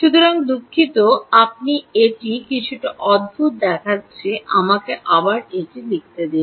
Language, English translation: Bengali, ok, so sorry, this u looks little strange, so let me write it again